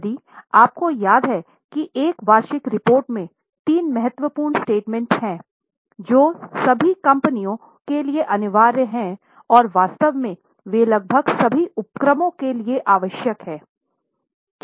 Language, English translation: Hindi, If you remember there are three important statements in an annual report which are mandatory for all the companies and in fact they are required for almost all the undertakings